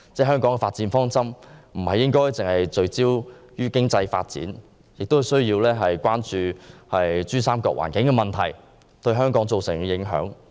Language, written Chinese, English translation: Cantonese, 香港的發展方針不應只是聚焦於經濟發展，亦應關注珠三角環境問題對香港造成的影響。, Hong Kongs development strategy should not only focus on economic development . We should also pay attention to the impact of the environmental problems of PRD on Hong Kong